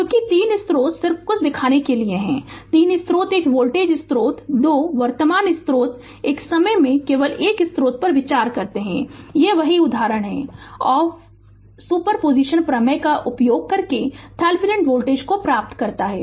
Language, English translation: Hindi, Because you have 3 sources just to show you something, 3 sources one voltage source 2 current source you consider only one source at a time same example this same example you obtain Thevenin voltage using your super position theorem